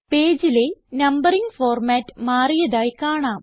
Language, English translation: Malayalam, You see that the numbering format changes for the page